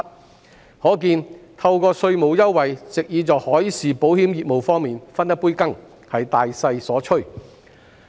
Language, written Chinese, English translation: Cantonese, 由此可見，藉稅務優惠在海事保險業務方面分一杯羹是大勢所趨。, Evidently it is the general trend to get a share of the marine insurance business by offering tax concessions